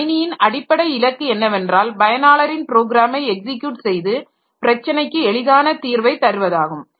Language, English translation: Tamil, Fundamental goal of computer systems is to execute user programs and to make solving user problems easier